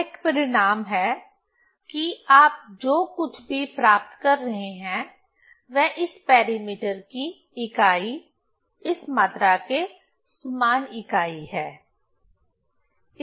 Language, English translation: Hindi, So, it is a result whatever you are getting that its unit also same as the unit of this parameters, okay, this quantity